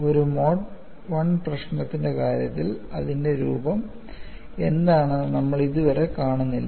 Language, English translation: Malayalam, We are yet to see, for the case of a Mode 1 problem, what is its form